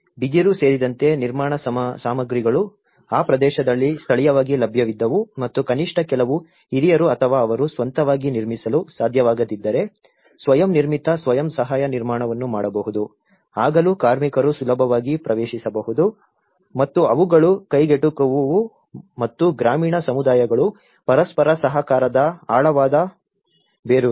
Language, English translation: Kannada, Construction materials including bamboo were available locally in that region and at least if some elderly people or if they are unable to make their own can self built self help construction then still the labour was easily accessible and they were affordable as well and rural communities have a deep rooted sense of mutual cooperation